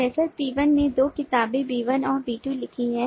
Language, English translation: Hindi, professor p1 has written two books, b1 and b2